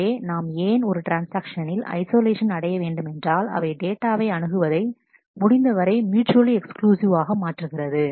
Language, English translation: Tamil, So, the why we need to achieve isolation of the transactions would be to make the accesses as mutually exclusive as possible